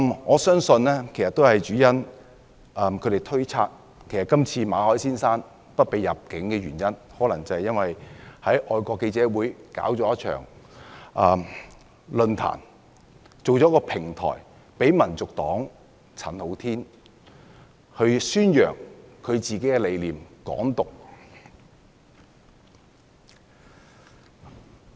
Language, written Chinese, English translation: Cantonese, 我相信主要原因是，他們推測馬凱先生被拒入境的原因，可能是因為他在香港外國記者會舉辦了一場論壇，製造了一個平台讓香港民族黨的陳浩天宣揚"港獨"理念。, I believe the main reason is that they speculate that the reason for rejecting Mr Victor MALLETs entry was due to the fact that he held a forum at the Foreign Correspondents Club Hong Kong FCC thereby creating a platform for Andy CHAN of the Hong Kong National Party HKNP to promote Hong Kong independence